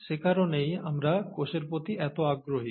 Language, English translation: Bengali, That's why we are so interested in the cell